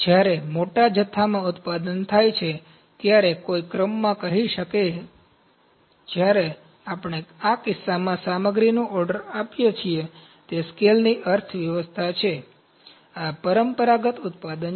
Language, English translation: Gujarati, When large quantity is produced, one can say in ordering, when we order the material in this case, it is economies of scale ok, this is traditional manufacturing